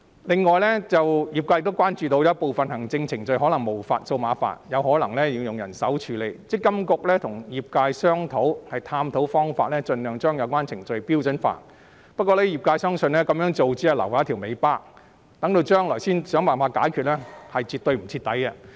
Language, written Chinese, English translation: Cantonese, 此外，業界又關注到有部分行政程序可能無法數碼化，仍要用人手處理，積金局跟業界正探討方法盡量將有關程序標準化，不過，業界相信這樣做只會留下一條尾巴，日後才想辦法解決是絕對不徹底的做法。, The trade has also noted that certain administration processes may not be able to go digital and will continue to be handled manually . MPFA is now collaborating with the trade to standardize such processes as far as possible . However the trade considers this practice as leaving a loose end for tomorrow failing to give a holistic solution